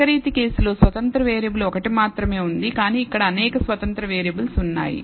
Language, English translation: Telugu, In the univariate case there is only one independent variable, but here there are several independent variables